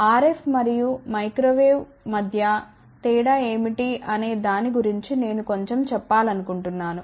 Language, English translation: Telugu, I just want to tell little bit about what is the difference between RF and Microwave